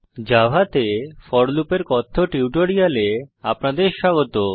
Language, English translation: Bengali, Welcome to the spoken tutorial on for loop in java